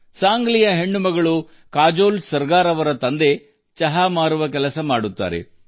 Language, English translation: Kannada, Sangli's daughter Kajol Sargar's father works as a tea vendor